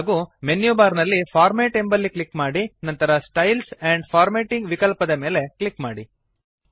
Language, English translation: Kannada, Next click on Format in the menu bar and click on the Styles and Formatting option